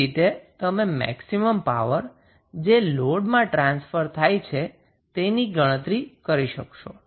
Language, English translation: Gujarati, How you will calculate the maximum power which would be transferred to the load